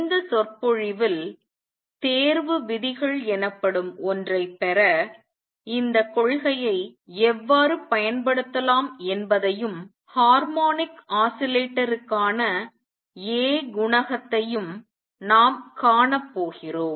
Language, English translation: Tamil, In this lecture, we are going to see how we can use this principle to derive something called the selection rules and also the A coefficient for the harmonic oscillator